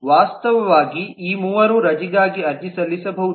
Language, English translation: Kannada, actually all three of them can apply for leave and so on